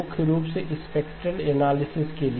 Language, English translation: Hindi, Primarily for spectral analysis